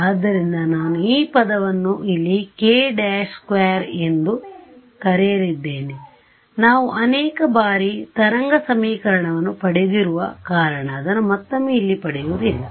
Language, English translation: Kannada, So, I am going to call this term over here as k prime squared we have derive wave equation many times